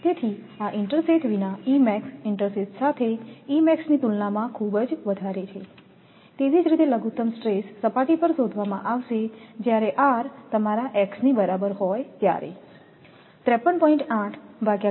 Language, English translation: Gujarati, So, with without intersheath max is very higher compared to this one, similarly minimum stress will be at the surface when R is equal to your x is equal to R